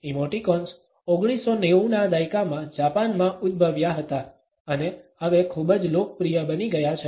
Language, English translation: Gujarati, Emoticons originated in Japan in 1990s and have become very popular now